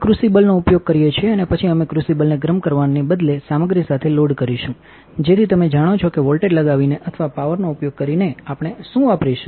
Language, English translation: Gujarati, We use a crucible and then we will load the crucible with the material instead of heating the crucible with some you know by applying a voltage or by applying a power what we will be using